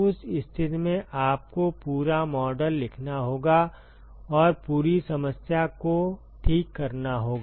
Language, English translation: Hindi, In that case you will have to write the full model and solve the full problem ok